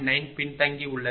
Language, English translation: Tamil, 9 lagging right